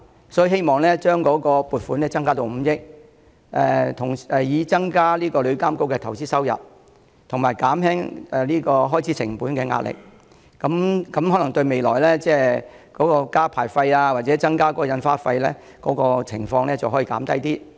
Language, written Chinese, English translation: Cantonese, 因此，我希望政府將撥款提升至5億元，以增加投資收入，減輕旅監局開支成本的壓力，並有助減低未來增加牌費或印花徵費的機會。, For this reason I hope that the Government will raise the funding to 500 million so that increased investment returns will alleviate the pressure on TIAs expenses and costs and will reduce the chances of increasing levies or licence fees in future